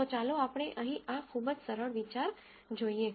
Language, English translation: Gujarati, So, let us look at this very simple idea here